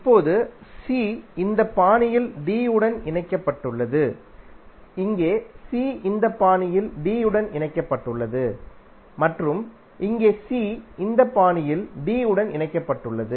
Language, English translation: Tamil, Now c is connected to d in this fashion here c is connected to d in this fashion and here c is connected to d in this fashion